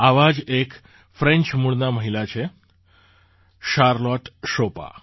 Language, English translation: Gujarati, Similarly there is a woman of French origin Charlotte Chopin